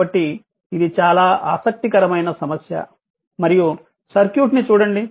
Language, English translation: Telugu, So, this is very interesting problem and just look at the circuit right